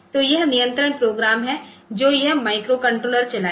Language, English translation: Hindi, So, that is the control the program that this microcontroller will run